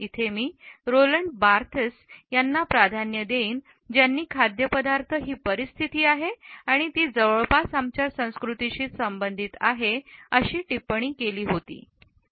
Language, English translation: Marathi, I would prefer to Roland Barthes who has commented that food is a situation and it is closely related with our culture